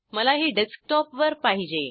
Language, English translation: Marathi, I want it on Desktop